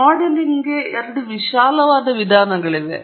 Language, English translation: Kannada, There are two broad approaches to modelling